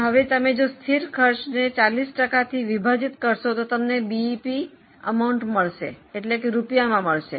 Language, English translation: Gujarati, Now if you divide fixed cost by 40%, you will get BEP amount